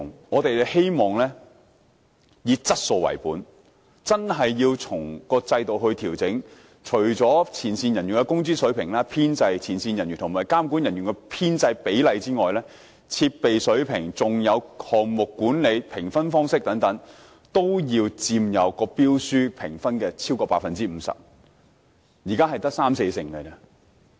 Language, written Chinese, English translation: Cantonese, 我們希望以"質素為本"，在評分制度作出調整，除了前線人員的工資水平、前線人員的編制、前線人員與監管人員編制的比例外，設備水平、項目管理和評分方式等，須佔標書評分不少於 50%， 但現時只佔三四成。, We hope that the marking scheme can be adjusted according to the quality - oriented approach . Besides the wage levels and establishment of frontline employees as well as the ratio between them and supervisory staff the level of equipment project management the marking model and so on must account for not less than 50 % of the tender scores though they represent only 30 % to 40 % at present